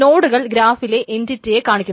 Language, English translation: Malayalam, The nodes represent the entities in the graph